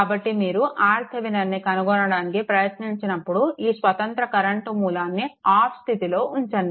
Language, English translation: Telugu, So, when you try to find out R Thevenin, this independent current source should be turned off right; independent current source should be turned off